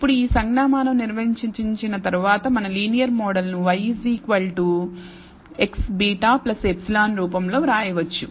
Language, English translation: Telugu, Now having defined this notation we can write our linear model in the form y equals x times beta plus epsilon